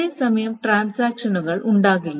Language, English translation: Malayalam, That is, there are no concurrent transactions